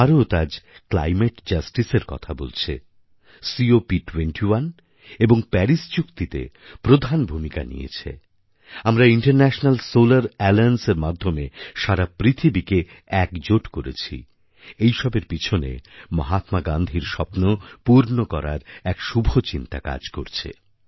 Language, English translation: Bengali, Today when India speaks of climate justice or plays a major role in the Cop21 and Paris agreements or when we unite the whole world through the medium of International Solar Alliance, they all are rooted in fulfilling that very dream of Mahatma Gandhi